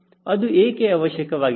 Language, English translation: Kannada, why that is important